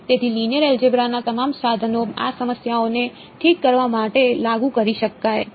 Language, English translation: Gujarati, So, all the tools of linear algebra can be applied to these problems to solve them ok